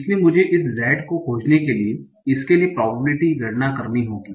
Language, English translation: Hindi, So, I have to compute the probability for this one also to find out this z